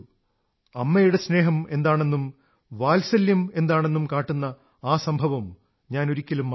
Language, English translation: Malayalam, I can never forget this incident as it taught me about the love of a mother and motherly affections